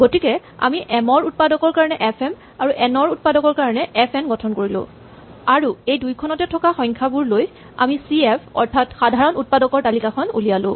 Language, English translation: Assamese, So, we construct fm the factors of m, fn the factors of n, and then from these we compute cf the list of factors in both lists or common factors